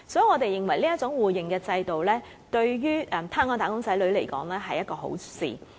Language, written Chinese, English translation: Cantonese, 我們認為這種互認制度，對於香港"打工仔女"來說，是一件好事。, I think this system of mutual recognition of qualifications is beneficial to Hong Kongs wage earners